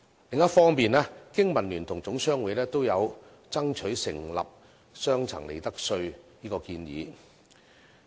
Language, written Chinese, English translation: Cantonese, 另一方面，經民聯和總商會均爭取設立雙層利得稅制的建議。, On the other hand both the Business and Professionals Alliance for Hong Kong and HKGCC are striving for the introduction of a two - tier profits tax regime